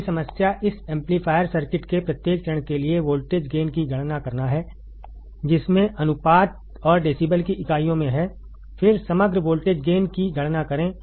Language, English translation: Hindi, The next problem is to calculate the voltage gain for each stage of this amplifier circuit both has ratio and in units of decibel, then calculate the overall voltage gain